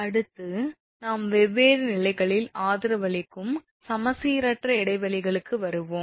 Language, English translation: Tamil, So next we will come to that, unsymmetrical spans that is supports at different levels right